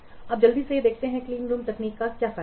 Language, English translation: Hindi, Now let's quickly see what is the advantage of clean room technique